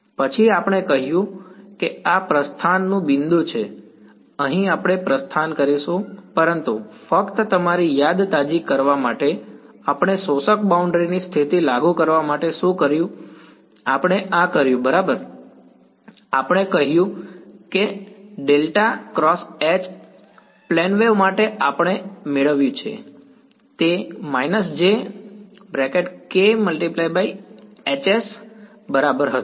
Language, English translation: Gujarati, Then we said this is the point of departure right this is where we will make a departure, but just to refresh your memory what did we do to apply the absorbing boundary condition we did this right we said that this del cross H s for a plane wave we have derived it, it was exactly equal to jk k hat cross H s